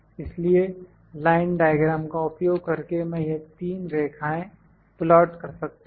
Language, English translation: Hindi, So, using the line diagram I can just plot these three lines